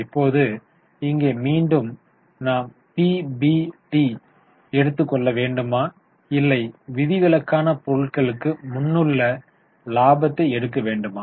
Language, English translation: Tamil, Now here again should we take PBT or should we take profit before exceptional items